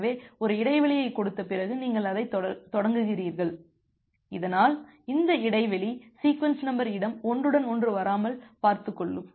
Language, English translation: Tamil, So, you start it after giving a gap, so that these gap will ensure that the sequence number space do not overlap